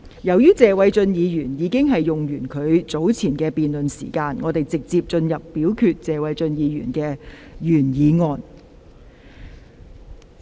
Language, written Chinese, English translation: Cantonese, 由於謝偉俊議員已用畢其發言時間，本會現即就謝偉俊議員動議的議案進行表決。, Since Mr Paul TSE has used up all of his speaking time this Council now proceeds to vote on the motion moved by Mr Paul TSE